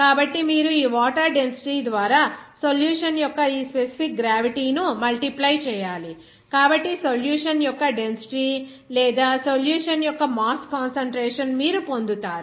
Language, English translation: Telugu, So, you have to multiply this specific gravity of the solution by this density of water, so you will get that what will be the density of the solution or mass concentration of the solution